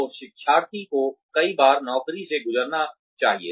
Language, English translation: Hindi, So, have the learner, go through the job, several times